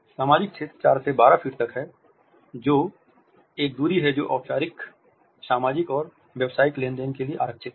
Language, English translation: Hindi, Social zone is from 4 to 12 feet, which is a distance which is reserved for formal social and business transactions